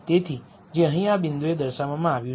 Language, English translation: Gujarati, So, which is what is shown here in this point right here